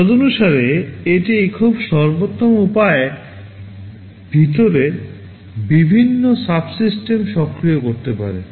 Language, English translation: Bengali, Accordingly it can activate the various subsystems inside in a very optimum way